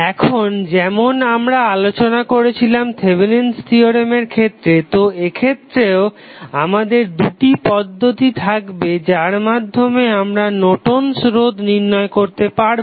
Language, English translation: Bengali, Now, as we discussed in case of Thevenin's theorem in this case also you will have two options rather we say two cases to find out the value of Norton's resistance